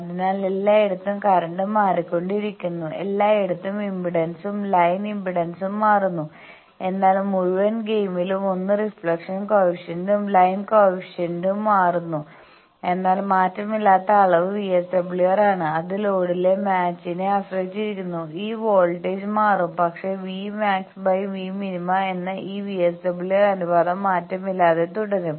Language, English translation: Malayalam, So, everywhere the current is also changing, everywhere the impedance line impedance is also changing, but in the whole game one also the reflection coefficient; line reflection coefficient also changes, but who is invariant the invariant quantity is VSWR that depends on the mismatch at the load and this voltage will change, but v max by v min this ratio VSWR that is invariant